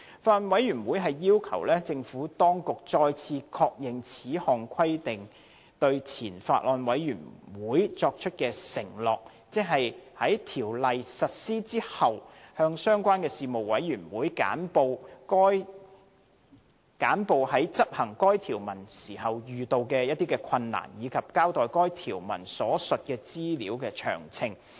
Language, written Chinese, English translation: Cantonese, 法案委員會要求政府當局，再次確認就此項規定對前法案委員會作出的承諾，即在《條例》實施後，向相關事務委員會簡報在執行該條文時遇到的困難，以及交代該條文所提述的資料的詳情。, Regarding this requirement the Bills Committee has requested the Administration to reaffirm its undertaking given to the Former Bills Committee that it will brief the relevant Panel after the implementation of the Ordinance on the difficulties encountered in enforcing the provision and on the details of information referred to therein